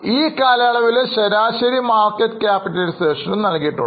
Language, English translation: Malayalam, Average market capitalization over the period is also given